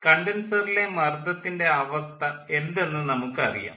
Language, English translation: Malayalam, in the entry to the condenser we know the pressure condition of the condenser